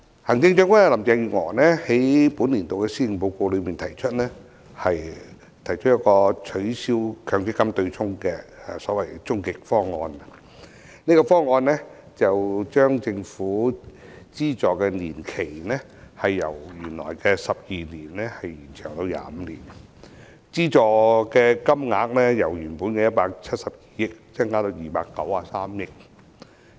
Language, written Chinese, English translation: Cantonese, 行政長官林鄭月娥在本年度的施政報告提出取消強積金對沖的所謂終極方案，這個方案將政府的資助年期由原來的12年延長至25年，資助金額由原本的172億元增加至293億元。, Chief Executive Carrie LAM puts forth in the Policy Address this year a so - called ultimate proposal on the offsetting arrangement under the MPF System . Under this proposal the Government will extend the subsidy period from the original 12 years to 25 years with its financial commitment increasing from the original 17.2 billion to 29.3 billion